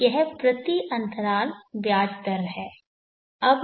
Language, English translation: Hindi, Now the rate of interest for an interval of time